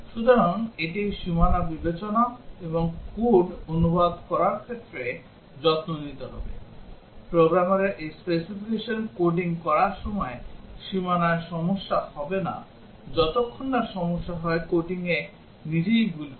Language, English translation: Bengali, So, this would have taken care of the consideration at the boundary and translation to code, a programmer coding this specification will not have problem at the boundary, unless it does problem, commit mistake in the coding itself